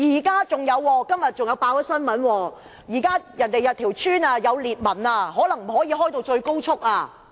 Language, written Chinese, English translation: Cantonese, 今天新聞還報道，有些村屋出現裂紋，高鐵可能不可以最高速行駛。, Today it is reported in the press that cracks have appeared in some village houses meaning that XRL trains may not be running at full speed